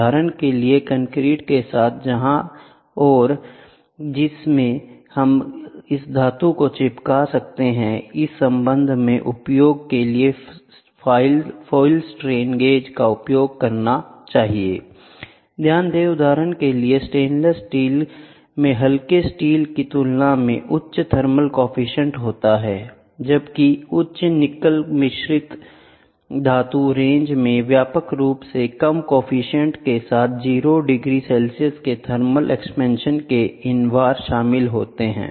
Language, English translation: Hindi, For example, concrete where and which we can stick this metal, foil strain gauges for usage in this connection one should note that for example, stainless steel has the higher thermal coefficient than mild steel while high nickel alloy range widely including invar with a low coefficient of thermal expansion of 0 degree Celsius